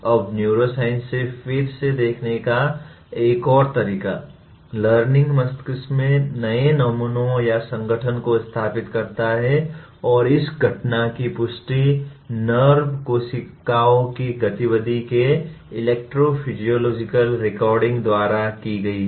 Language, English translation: Hindi, Now another way of looking at again from neuroscience, learning imposes new patterns or organization in the brain and this phenomenon has been confirmed by electrophysiological recordings of the activity of nerve cells